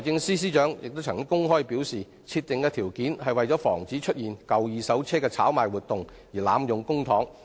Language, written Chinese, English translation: Cantonese, 司長曾公開表示，設定上述條件，是為了防止出現舊二手車炒賣活動而濫用公帑。, The Financial Secretary has publicly explained that such conditions had been set to prevent any speculation on second - hand vehicles and the consequent misuse of public money